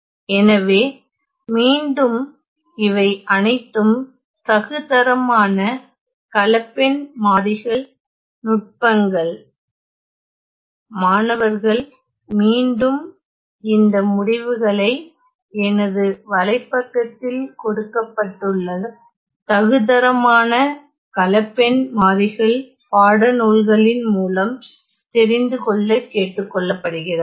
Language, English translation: Tamil, So, again these are all standard complex variables techniques, students are again asked to find these results in a standard complex variables textbook which is given in my course webpage